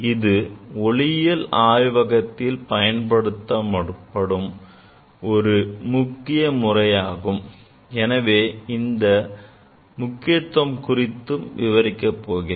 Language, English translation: Tamil, This is very important method in optics laboratory; this method is very important and what is the importance of this method that I will discuss